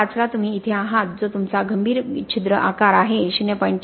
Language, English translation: Marathi, 5 you are here that is your critical pore size, at 0